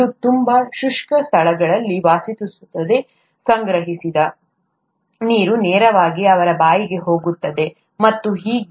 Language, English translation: Kannada, It lives in very arid places and the water that is collected directly goes into it's mouth and so on